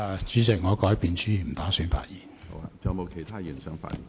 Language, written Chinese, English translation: Cantonese, 主席，我改變主意，不打算發言。, President I have changed my mind . I do not intend to speak